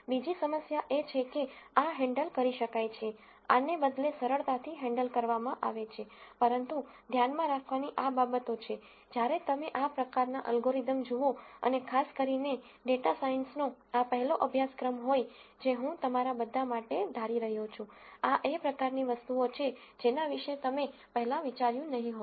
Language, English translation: Gujarati, The other the problem is, these are these are handle able, these are rather easily handled, but these are things to keep in mind when you look at these kinds of algorithms and also particularly this being the first course on data science I am assuming for most of you, these are kinds of things that you might not have thought about before